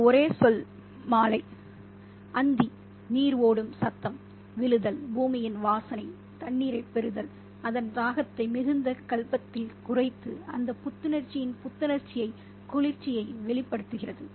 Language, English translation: Tamil, And she says, evening, that one single word, evening, twilight, the sound of water gushing falling, the scent of earth receiving water, slaking its thirst in great gulbs and releasing that green scent of freshness, coolness